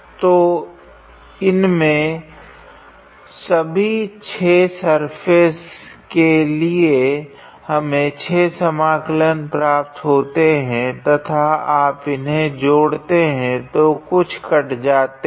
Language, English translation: Hindi, So, on these 6 surfaces we basically obtain 6 integrals and then you sum them you will have some cancellation